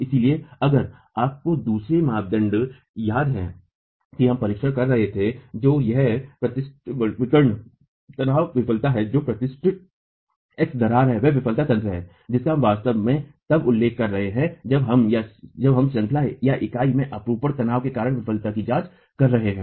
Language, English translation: Hindi, So, if you remember the second criterion that we were examining is the classical diagonal tension failure, the classical X crack that is formed is the failure mechanism that we are actually referring to when we are examining failure due to shear tension in the unit